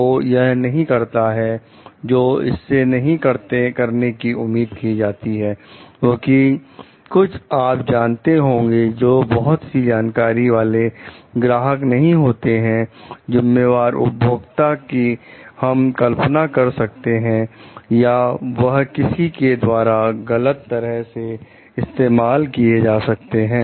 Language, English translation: Hindi, So, it should not do what it is not expected to do because there could be some you know like if there are not very knowledgeable customers, responsible users we can imagine like or maybe it is mishandled by someone